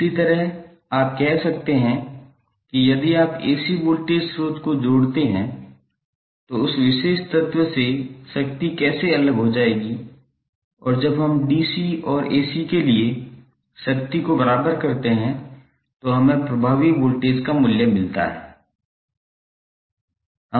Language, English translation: Hindi, Similarly you can say that if you connect the AC voltage source then how power would be dissipated by that particular element and when we equate the power for DC and AC we get the value of effective voltage